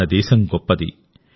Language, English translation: Telugu, Our country is great